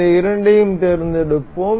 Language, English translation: Tamil, We will select all of these